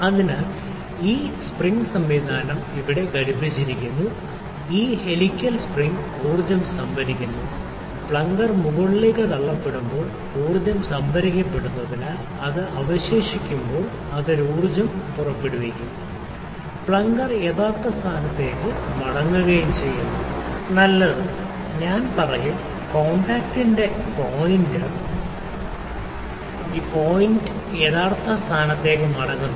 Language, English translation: Malayalam, So, this spring mechanism is attached here; there is the spring that is the helical spring this helical spring stores energy, when the plunger is pushed up and when it is left because energy is stored it releases an energy and the plunger comes back to the original position, better, I would say the pointer point of contact comes back to the original position